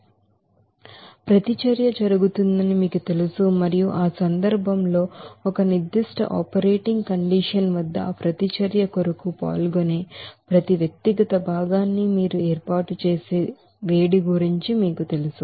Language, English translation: Telugu, And by which that you know reaction is carried out and in that case the heat of formation of you know each individual constituent that take part for that reaction at a particular operating condition